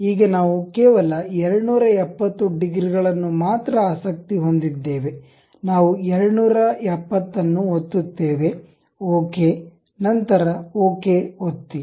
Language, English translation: Kannada, Now, we are interested only 270 degrees, we click 270, ok, then click ok